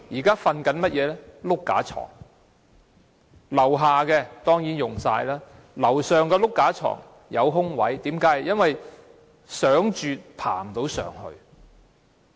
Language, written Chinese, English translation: Cantonese, 他們現時睡"碌架床"，下格當然滿額，上格有空位，因為即使想睡，也爬不上去。, They are now sleeping on bunk beds . While the lower bunks are of course fully occupied some upper bunks are vacant because elderly street sleepers cannot climb up to them even if they want to sleep there